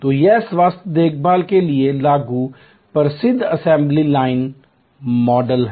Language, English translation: Hindi, So, this is the famous assembly line model applied to health care